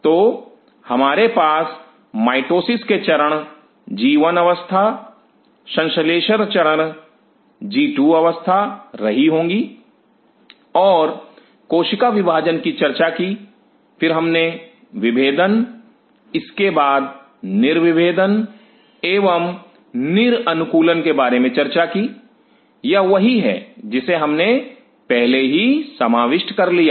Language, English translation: Hindi, So, we will be having mitosis phase G 1 phase synthesis phase G 2 phase and talked about cell division then we talked about differentiation then dedifferentiation and de adaptation; this is what we have already covered